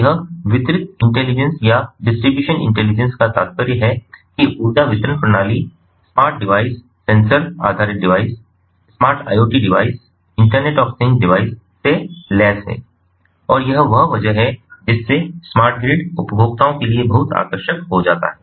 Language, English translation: Hindi, so this distributed intelligence, or the distribution intelligence, implies that the energy distribution system is equipped with smart devices, sensor based devices, smart iot devices, internet of things devices, and this is where smart grid becomes very attractive ah to ah to the consumers